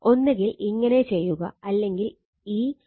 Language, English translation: Malayalam, So, what you can do is so this by making this B is equal to H is equal to 0